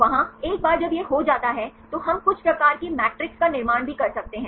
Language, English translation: Hindi, There, once this is done then we can also construct some type of matrices